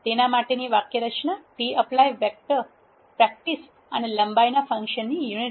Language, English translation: Gujarati, The syntax for that is tapply a vector, practice and the function unit of length